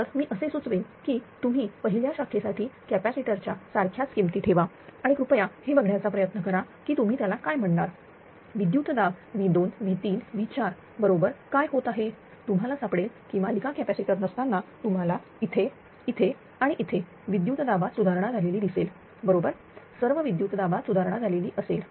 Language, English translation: Marathi, So, I suggest that you put the same manner of the capacitor in branch one and please try to see that you are what you call that what is happening to the voltage V 2 V 3 V 4 you will find without any series capacitor will find here here here voltage will improved right all voltages will improve